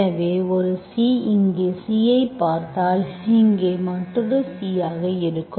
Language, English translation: Tamil, So one C, C, if you view some C here, that will be another C here